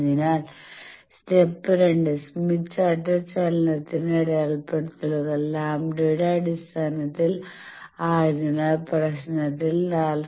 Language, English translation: Malayalam, So, step two, since the smith chart movement markings are in terms of lambda so you find out that in the problem it was said 4